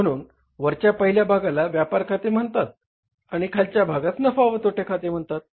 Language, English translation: Marathi, , first part, upper part is called as a trading and trading account and the lower part is called as the profit and loss account